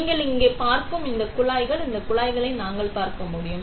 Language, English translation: Tamil, These pipes that you are seeing here, we can see these pipes, right